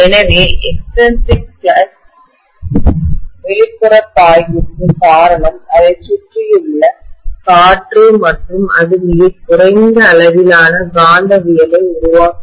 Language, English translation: Tamil, So extrinsic flux is essentially due to the air which is surrounding it and which is creating a very very small amount of magnetism